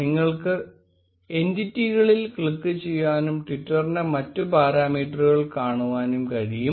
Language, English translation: Malayalam, You can also click on entities and see the other parameters of the tweet